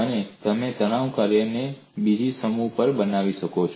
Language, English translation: Gujarati, And you can also construct another set of stress functions